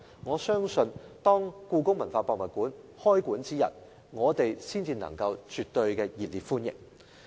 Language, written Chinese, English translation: Cantonese, 我相信這樣一來，故宮館開館之日，我們才能夠絕對熱烈歡迎。, If this is done I believe HKPM will be warmly welcomed on its opening day